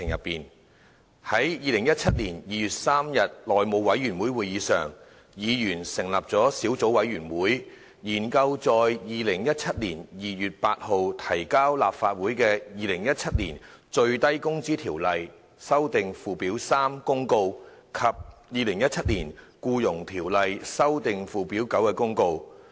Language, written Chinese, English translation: Cantonese, 在2017年2月3日內務委員會會議上，議員成立了小組委員會，研究在2017年2月8日提交立法會的《2017年最低工資條例公告》及《2017年僱傭條例公告》。, At the House Committee meeting on 3 February 2017 members formed a subcommittee to study the Minimum Wage Ordinance Notice 2017 and the Employment Ordinance Notice 2017 which were laid on the table of the Legislative Council on 8 February 2017